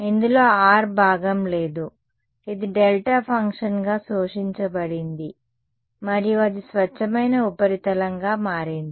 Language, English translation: Telugu, There is no the rho part of it has been absorbed as a delta function and it is become a pure surface that ok